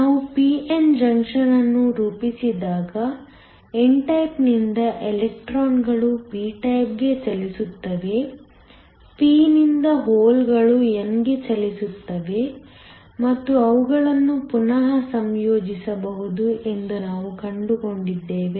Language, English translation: Kannada, When we form a p n junction we found that electrons from the n type move to the p type, holes from the p move to the n and they can recombine